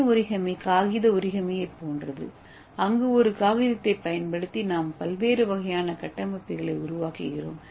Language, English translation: Tamil, So you know what is paper origami so using a paper we can make a different kind of structures, okay